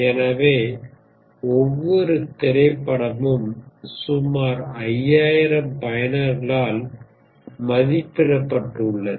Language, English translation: Tamil, So each movie was rated by approximately 5000 users, ok